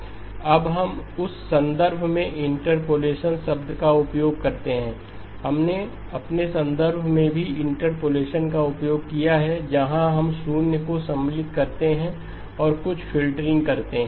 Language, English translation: Hindi, Now we use the word interpolation in that context, we have also used interpolation in our context where we insert zeros and do some filtering